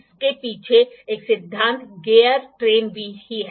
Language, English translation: Hindi, The principle behind this is the gear train only